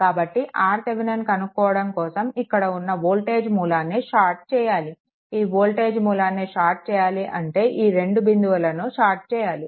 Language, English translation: Telugu, So, for R Thevenin this voltage source is shorted this voltage source is shorted; that means, these two point is shorted